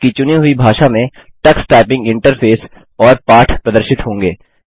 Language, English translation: Hindi, The Tux Typing Interface and lessons will be displayed in the language you select